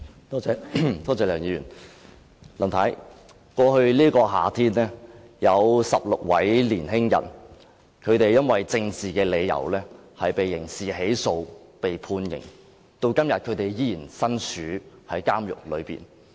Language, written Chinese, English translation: Cantonese, 梁議員，林太，剛過去的夏天有16位年輕人，因為政治理由而被刑事起訴及判刑，至今他們仍然身處監獄中。, Mr LEUNG Mrs LAM in the past summer 16 young people were prosecuted and sentenced for criminal offences due to political reasons and they are now in prison